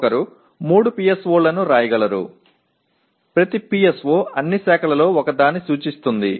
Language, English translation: Telugu, One can write 3 PSOs, each PSO representing one of the streams